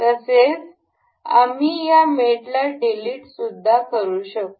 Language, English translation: Marathi, Also we can delete this mate as delete